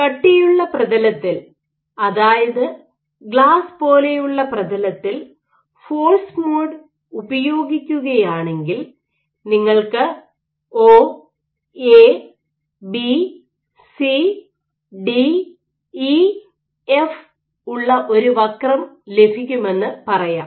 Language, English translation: Malayalam, So, if you do force mode on a stiff surface, let us say like glass you would get a curve like this O, A, B, C, D, E, F